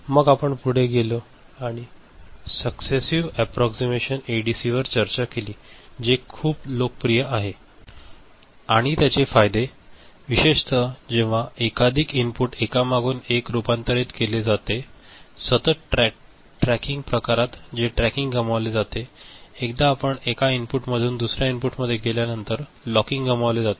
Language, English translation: Marathi, Then we moved on and we discussed accessing the approximation type ADC which is very popular and it has its advantages specially when multiple inputs are to be converted one after another; in the continuous tracking type the tracking gets lost, the locking get lost once you move from one input to another